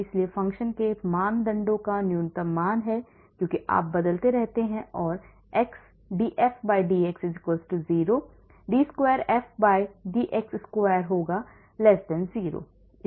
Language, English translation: Hindi, so the criteria for the function f to have a minimum value is as you keep changing x will be df/dx=0 d square f/dx square is >0